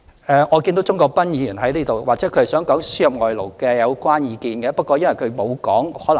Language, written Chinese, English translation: Cantonese, 我看見鍾國斌議員在席，或許他想表達對輸入外勞的意見。, I see that Mr CHUNG Kwok - pan is present . Perhaps he might wish to express his views on importation of foreign labour